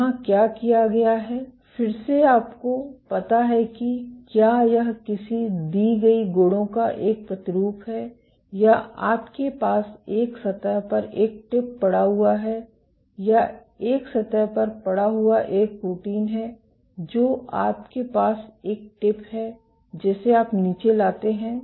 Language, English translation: Hindi, What is done here is again you have a you know whether be it a sample of a given property or you have a tip lying on a surface or a protein lying on a surface you have a tip you bring it down